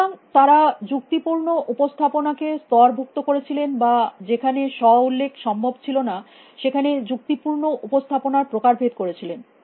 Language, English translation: Bengali, So, they had layered logical representation or typed logical representation where self reference would not be possible